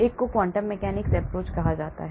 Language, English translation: Hindi, one is called the quantum mechanics approach